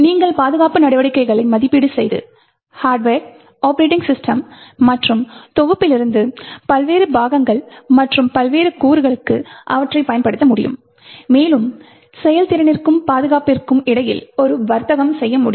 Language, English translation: Tamil, You would be able to evaluate security measures and apply them to various parts or various components from the hardware, operating system and the compiler and also you would be able to trade off between the performance and security